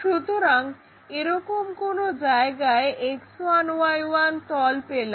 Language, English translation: Bengali, So, somewhere here we make such kind of X1 Y1 plane